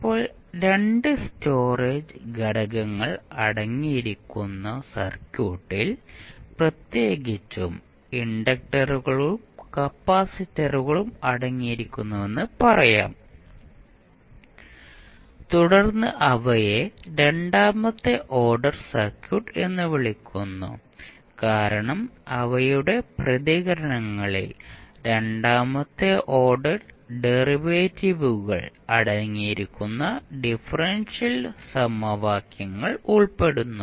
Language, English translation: Malayalam, Now, we can also say that the circuit which contains 2 storage elements particularly inductors and capacitors then those are called as a second order circuit because their responses include differential equations that contain second order derivatives